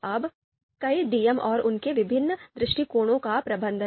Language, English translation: Hindi, Now managing multiple DMs and their different perspective